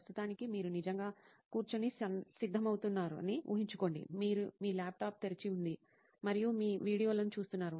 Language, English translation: Telugu, Imagine for the time being that you are actually seating and preparing, you have your laptop open and you are watching videos